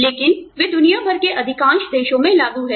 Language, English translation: Hindi, But, they are applicable to, most countries, across the world